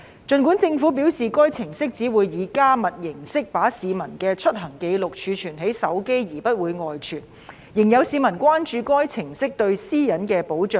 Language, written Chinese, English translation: Cantonese, 儘管政府表示該程式只會以加密形式把市民的出行紀錄儲存在手機而不會外傳，仍有市民關注該程式對私隱的保障。, Although the Government has indicated that the app only stores the visit records of members of the public in encrypted form in their mobile phones and the records will not be divulged some members of the public are still concerned about the protection of privacy afforded by the app